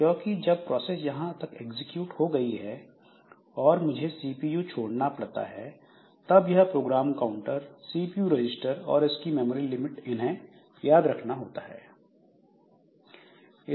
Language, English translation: Hindi, Because when I am suppose I have executed up to this and then I have to leave the CPU, then this program counter, CPU registers and this memory limits similar they are remembered